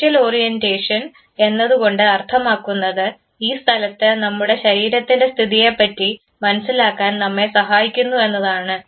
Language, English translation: Malayalam, spatial orientation would mean that it helps us know, the position of our body in this space